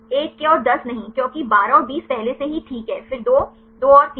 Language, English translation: Hindi, No 1 and 10, no because 12 and 20 is already right now then the 2, 2 and 3